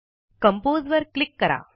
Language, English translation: Marathi, Lets click on Compose